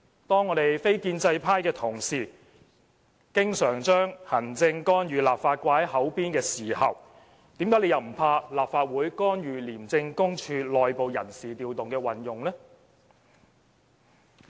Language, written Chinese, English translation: Cantonese, 當我們非建制派的同事經常將"行政干預立法"掛在嘴邊時，為甚麼又不害怕立法會干預廉署內部人士調動的運作呢？, Our colleagues from the non - establishment camp often talk about the executive authorities interference with the legislature . Then why arent they equally fearful of the Legislative Councils interference with the personnel deployment of ICAC?